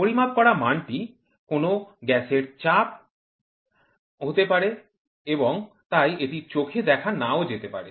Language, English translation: Bengali, The measured quantity may be pressure of a gas and therefore, may not be observable